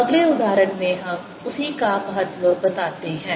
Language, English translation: Hindi, in next example we show the importance of that